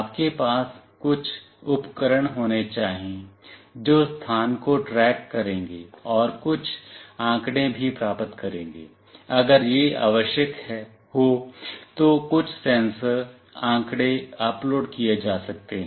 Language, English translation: Hindi, You need to have some devices that will track the location and will also receive some data, if it is required some sensor data can be uploaded